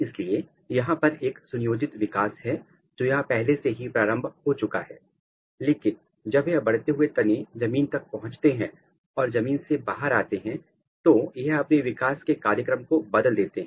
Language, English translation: Hindi, So, there is a developmental program, there is a developmental program which is going on here already, but once this growing shoots reaches the ground; once it is coming outside the ground it switches its developmental program